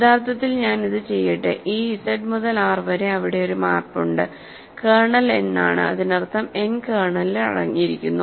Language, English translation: Malayalam, So, actually let me do it like this Z to R there is a map kernel is n; that means, n is contained in the kernel